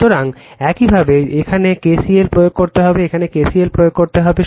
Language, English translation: Bengali, So, similarly you have to apply KCL here, you have to apply KCL here